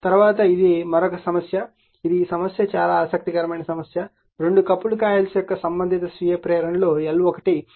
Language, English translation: Telugu, Next is this is another problem this is this problem is very interesting problem, 2 coupled coils with respective self inductances L 1 is 0